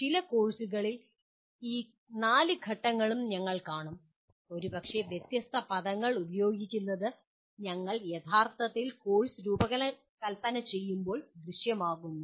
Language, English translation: Malayalam, We will see these 4 stages in some maybe using different terminology will keep appearing when we are designing actually the course